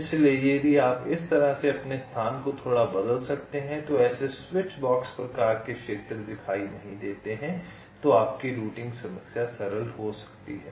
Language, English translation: Hindi, so if you can change or modify your placement and little bit in such a way that such switchbox kind of regions do not appear, then your routing problem can become simpler